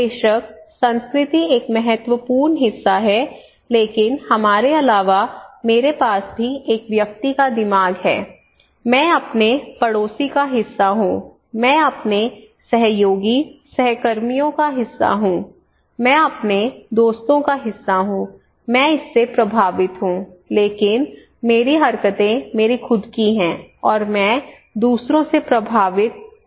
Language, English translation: Hindi, Of course culture is an important part, but apart from we, also I have a mind of individual, I am part of my neighbour, I am part of my colleague, co workers, I am part of my friends, I am influenced by them but my actions my attitudes are my own I am also influenced by others what I do okay